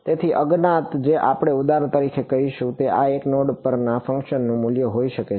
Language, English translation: Gujarati, So, the unknowns that we will say for example, can be the value of the function at these nodes